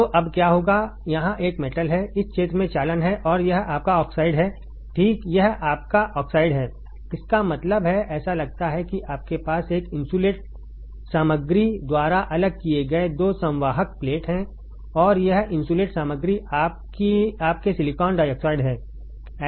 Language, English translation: Hindi, So, now what will happen there is a metal here; there is conduction in this region and this is your oxide right this is your oxide; that means, it looks like you have 2 conducting plates separated by an insulating material and this insulating material is your silicon dioxide